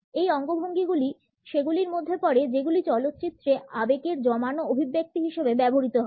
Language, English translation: Bengali, It also happens to be one of those gestures which are used as stock expressions of emotions in movies